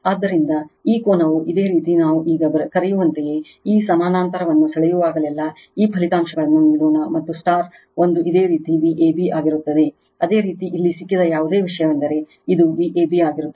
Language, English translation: Kannada, So, this angle is your what we call now whenever you draw this parallel let this results and into one this will be your V a b whatever you have got it here this will be V ab